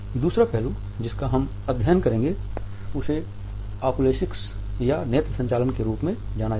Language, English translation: Hindi, The second aspect which we shall study is known as Oculesics or the study of eye movement